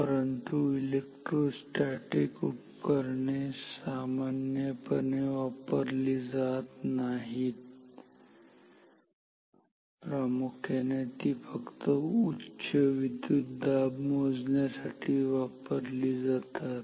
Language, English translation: Marathi, But electrostatic instruments are not generally used much this is used only for some high voltage applications mainly